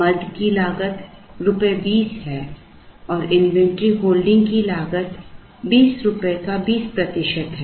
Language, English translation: Hindi, The cost of the item is rupees 20 and the inventory holding cost is 20 percent of rupees 20